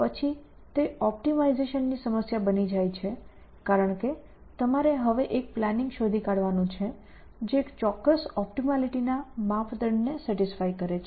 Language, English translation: Gujarati, Then it becomes a optimization problem because you have to now find a plan, which satisfies certain optimality criteria